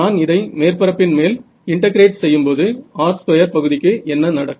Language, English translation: Tamil, So, when I integrate this over the surface what will happen to the r square term